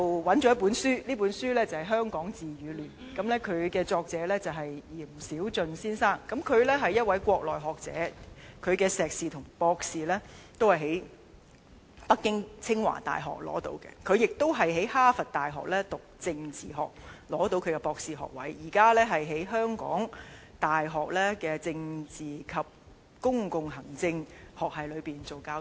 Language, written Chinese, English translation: Cantonese, 有一本書名為《香港治與亂 ：2047 的政治想像》，作者是閻小駿先生，他是一名國內學者，碩士和博士均在北京清華大學完成，並在哈佛大學取得政治學博士學位，現正在香港大學政治及公共行政學系當副教授。, There is a book titled Hong Kong in Peace or in Chaos an Image of Politics in 2047 authored by Mr YAN Xiaojun . Mr YAN is a Mainland scholar who obtained both his masters degree and doctorate at Tsinghua University Beijing and was awarded a PhD in political science by Harvard University . Presently he is an Associate Professor of the Department of Politics and Public Administration of the University of Hong Kong